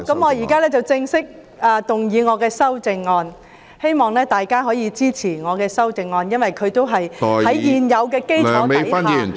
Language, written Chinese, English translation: Cantonese, 我現在正式動議我的修正案，希望大家可以支持我的修正案，因為它是在現有的基礎上提出......, I now formally move my amendment . I hope Members will support my amendment because it proposes on the existing basis that